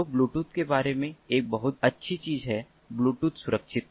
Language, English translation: Hindi, so bluetooth one of the very good things about bluetooth is security